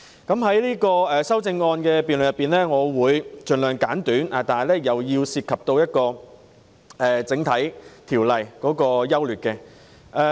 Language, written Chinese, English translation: Cantonese, 在有關修正案的辯論中，我的發言會盡量簡短，但亦會涉及法案的整體優劣。, In the debate on the amendments I will keep my speech as concise as possible but I will also touch on the general merits of the bill